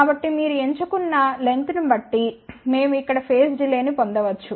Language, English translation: Telugu, So, depending upon whatever the length you have chosen, we can get the phase delay over here